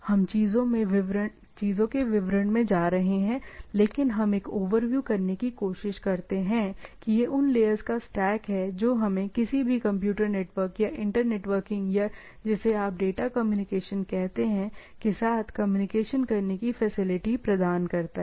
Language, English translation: Hindi, We will be going details into the things, but we try to have a overview that these are the stacking of the layers which are there in our realization of a, any computer network or inter networking or what you say data communication, the whatever way you try to put it